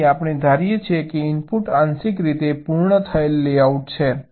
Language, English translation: Gujarati, ok, so we assume that the input is a partially completed layout